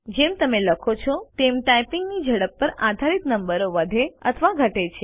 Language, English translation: Gujarati, As you type, the number increases or decreases based on the speed of your typing